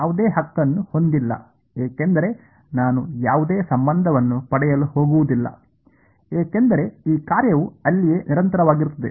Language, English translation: Kannada, No right because I am not extract going to get any relation this function is continuous over there right